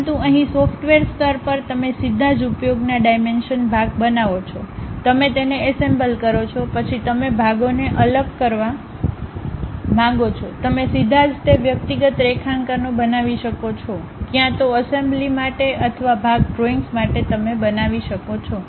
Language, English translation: Gujarati, But here at the software level you straight away use dimensions create part, you assemble it, then you want to really separate the parts, you can straight away construct those individual drawings, either for assembly or for part drawings you can make